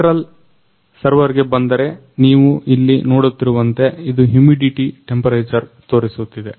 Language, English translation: Kannada, Now, coming to the central server as you can see here, it is show showing humidity, temperature